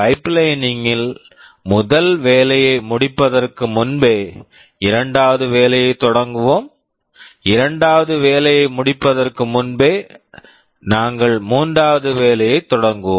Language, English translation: Tamil, In pipelining the concept is that even before you finish the first task, we start with the second task, even before we finish the second task we start the third task